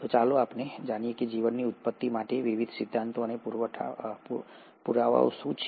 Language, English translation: Gujarati, So let’s go to what are the various theories and evidences for origin of life